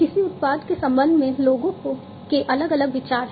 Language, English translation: Hindi, People have different ideas regarding a product